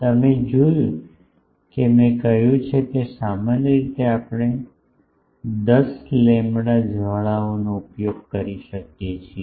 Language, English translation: Gujarati, You see I said that typically we use up to 10 lambda the flares